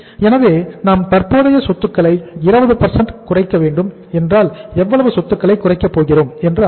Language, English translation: Tamil, So if you are going to reduce the current assets by 20% it means how much assets we are going to reduce